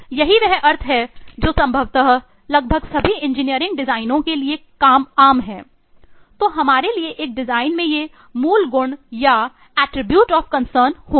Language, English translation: Hindi, This is the meaning which is possibly common for almost all engineering designs so for us a design will have these eh basic properties and or other eh attributes of concern